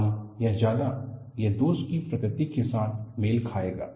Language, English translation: Hindi, More or less, it will match with the nature of flaw